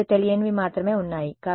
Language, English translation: Telugu, There are only two unknowns over there